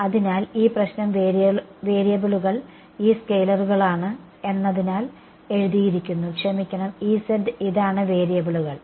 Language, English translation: Malayalam, So, this problem has been written as the variables are these scalars right sorry this is just E z these are the variables